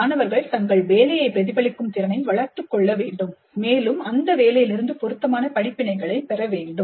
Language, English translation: Tamil, Students must develop the capacity to reflect on their work and draw appropriate lessons from that work